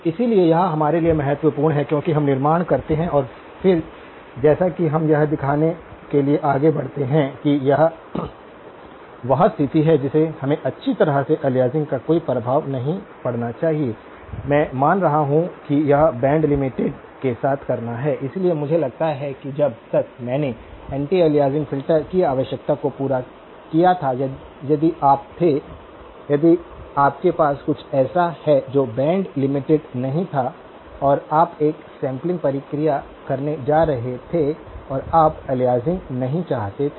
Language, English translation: Hindi, So, this is important for us as we build and then as we move forward to show that this is the condition that we would need to satisfy to have no effect of aliasing well, I am assuming that it is band limited to begin with, so I would assume that if as long as I had satisfied the anti aliasing filter is a requirement only if you were; if you had something that was not band limited and you were going to do a sampling process and you did not want to have aliasing